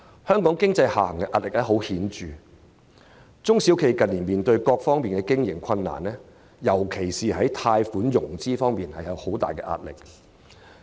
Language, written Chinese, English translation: Cantonese, 香港經濟的下行壓力顯著，中小企近年面對各方面的經營困難，在貸款融資方面的壓力尤為巨大。, The downward pressure on Hong Kong economy is palpable . SMEs have been grappling with all sorts of operational difficulties in recent years not least with the pressure on the loan financing front